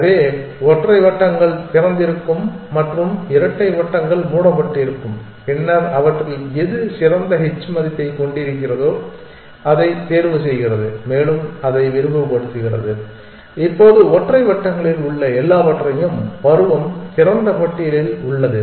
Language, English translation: Tamil, So, the single circles are open and the double circles are closed then it picks one of them whichever has the best h value and expands that now everything else everything in single circles season open list